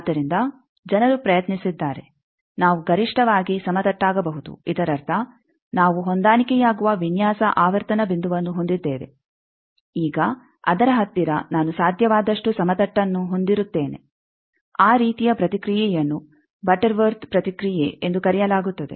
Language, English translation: Kannada, So, people have tried that we can have maximally flat that means, we have a design frequency point where we are matched where we are now near that I will have very flat as far as possible that type of response is called butterworth response